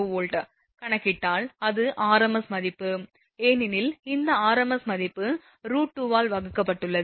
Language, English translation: Tamil, 475 kV, it is r m s value because we have taken this r m s value divided by root 2